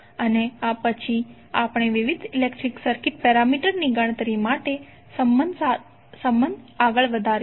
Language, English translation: Gujarati, And then we will further build up the relationship for calculation of various electrical circuit parameters, thank you